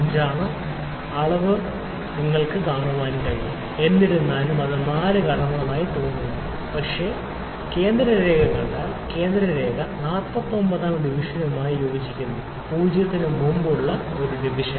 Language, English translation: Malayalam, 5; however, it looks like it has crossed 4, but if I see the central line, the central line is coinciding with the 49th division, one division before 0